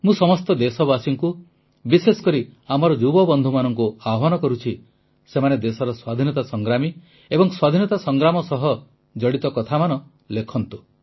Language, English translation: Odia, I appeal to all countrymen, especially the young friends to write about freedom fighters, incidents associated with freedom